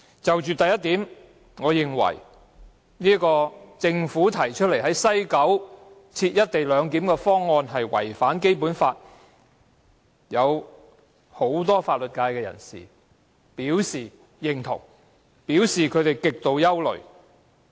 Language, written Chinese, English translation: Cantonese, 就着第一點，我認為政府提出在西九龍站實施"一地兩檢"的方案違反《基本法》，這一點已獲得不少法律界人士認同，他們更對此表示極度憂慮。, With regard to the first point I think that the co - location arrangement at West Kowloon Station contravenes the Basic Law and my views are shared by quite a number of members of the legal sector who have also expressed grave concern about this